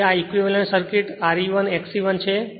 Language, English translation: Gujarati, So, this is your my equivalent circuit R e 1 X e 1 right